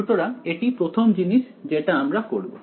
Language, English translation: Bengali, So, that is the first thing I will do